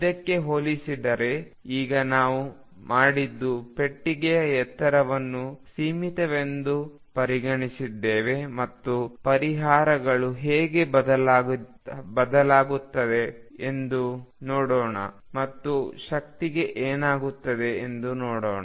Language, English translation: Kannada, Compared to this now what we have done is taken the height of the box to be finite and let us see how the solutions change and what happens to the energy